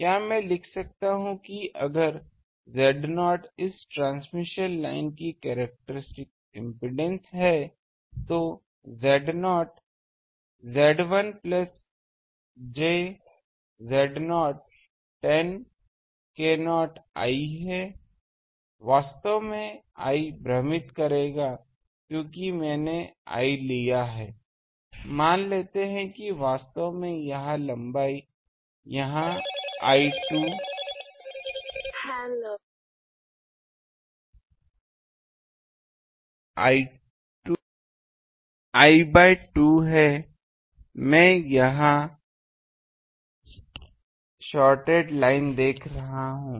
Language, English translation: Hindi, Can I write if Z not is the characteristic impedance of this transmission line, then Z not, Z l plus j Z not tan k not l, actually l will confuse because I have taken l, let me say that actually here the length is here l by 2 this is a shorted line am looking that